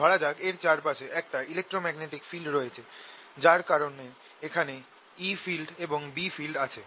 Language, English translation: Bengali, let an electromagnetic field exist around it so that we have e field and b field in this region